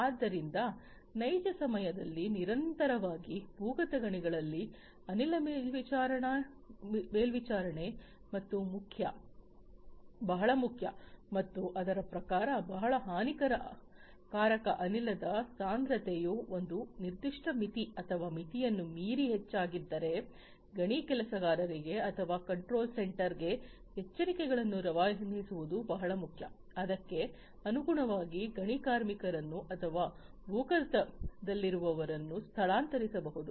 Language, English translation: Kannada, So, gas monitoring under in the underground mines continuously in real time is very important and accordingly if the concentration of a very harmful gas has increased beyond a certain threshold or a limit, then it is very important to generate alerts for the mineworkers or at the control centre and accordingly take steps such as, evacuate the mine workers or whoever is there underground